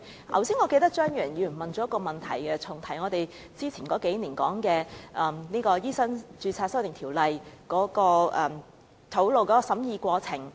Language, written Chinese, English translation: Cantonese, 我記得張宇人議員剛才重提數年前有關醫生註冊的修訂條例草案的審議過程。, I remember Mr Tommy CHEUNG mentioned just now the scrutiny of the amendment bill on medical registration a few years ago